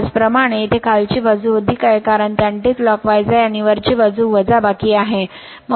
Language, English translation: Marathi, Similarly here the lower side is additive, because it is anticlockwise and upper side is subtractive